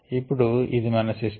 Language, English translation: Telugu, this is our system